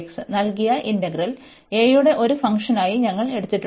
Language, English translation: Malayalam, So, the given integral, we have taken as a function of a